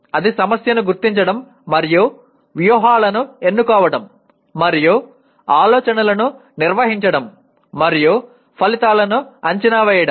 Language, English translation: Telugu, That will involve identifying the problem and choosing strategies and organizing thoughts and predicting outcomes